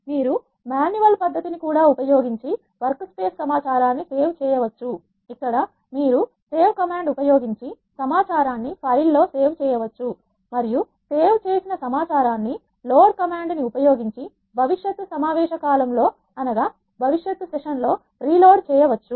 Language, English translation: Telugu, You can also save the workspace information using manual method where you can save the information to a file using the save command and the saved information can be reloaded for the future sessions using the load command let us see how to do that in R